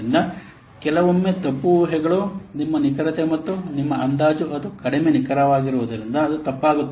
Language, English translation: Kannada, So sometimes due to wrong assumptions, your estimate, it becoming less accurate, it is becoming wrong